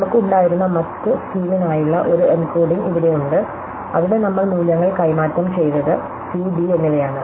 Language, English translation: Malayalam, So, here is an encoding for the other scheme that we had, where we exchanged the values of c and d